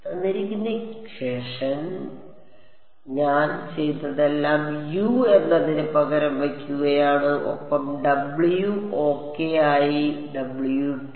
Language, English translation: Malayalam, So, all I have done is substitute U and I have put kept w as w ok